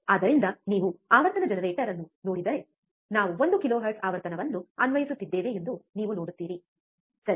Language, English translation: Kannada, So, if you see the frequency generator, frequency generator, this one, you will see we have we are applying one kilohertz frequency, right